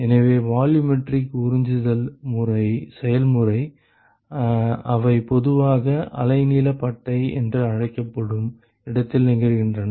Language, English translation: Tamil, So, the volumetric absorption process, they occur typically in what is called the wavelength band